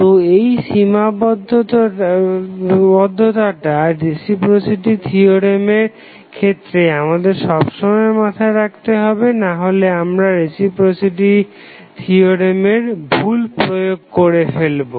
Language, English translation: Bengali, So, this is the limitation which we have to always keep in mind otherwise, we will use reciprocity theorem wrongly